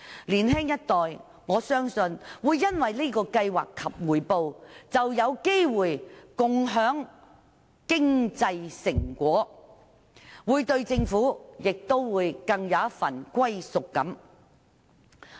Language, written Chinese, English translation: Cantonese, 在這個計劃下，我相信年青一代會有機會共享經濟成果，對香港會更有歸屬感。, Under this scheme I believe the young generation will have a chance to share the economic benefits and nurture a greater sense of belonging to Hong Kong